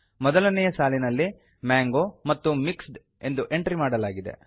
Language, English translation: Kannada, In the first line, the entries are mango and mixed